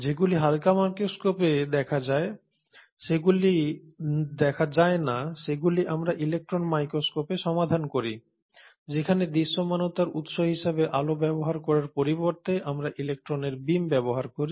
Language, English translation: Bengali, The ones which are not visible through light microscopes, we then resolve to electron microscopes,where, instead of using light as the source of visualisation we use a beam of electrons to visualize